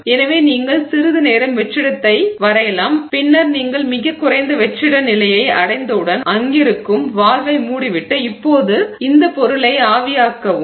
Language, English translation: Tamil, So, you draw vacuum for some time and then once you have reached a very low vacuum condition, you just close the valve there and then now you evaporate this material